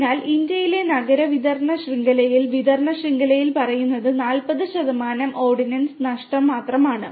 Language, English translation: Malayalam, So, in India the urban distribution network, distribution networks only faces losses of the order of say 40 percent